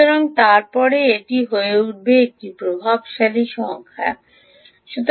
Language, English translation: Bengali, so then this becomes, start becoming a dominant number